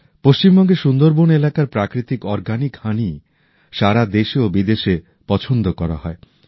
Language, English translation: Bengali, The natural organic honey of the Sunderbans areas of West Bengal is in great demand in our country and the world